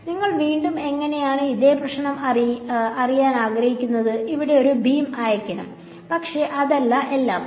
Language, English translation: Malayalam, So, how do you again same problem I want to you know send a beam here, but not that all of those things